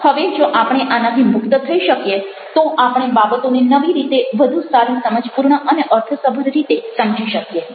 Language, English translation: Gujarati, now, if we can get rid of this, then we listen to thing again in a new way and in a much more perspective and meaningful way